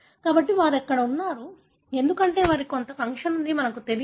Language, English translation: Telugu, So, they are there, because they have some function, we do not know